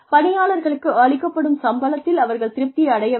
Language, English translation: Tamil, People need to be satisfied with the salaries, that they are being paid